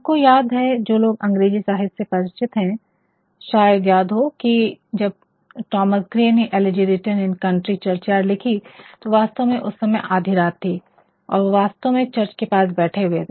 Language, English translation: Hindi, We we rememberthose who are familiar with English literature might remember that, when Thomas Gray wrote Elegy written in a country churchyard, it was actually midnight and he actually someday or the other he was sittingnear a churchyard